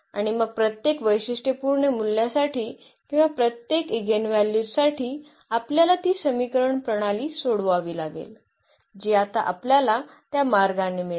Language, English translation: Marathi, And, then for each characteristic value or each eigenvalue we have to solve that system of equation that now we will get in that way the eigenvectors